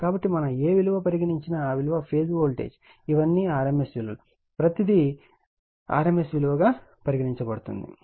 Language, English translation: Telugu, So, whatever we say V p is the phase voltage these are all rms value right, everything is rms value